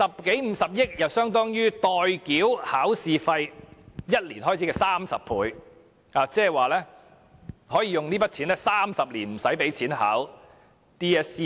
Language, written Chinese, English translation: Cantonese, 這50億元亦相當於代繳考試費1年開支的30倍，即是說這筆錢足以支付未來30年 DSE 考試的費用。, The amount of 5 billion is also equivalent to 30 times of one - years examination fee which is enough to cover the examination fees for the Hong Kong Diploma of Secondary Education Examination in the next 30 years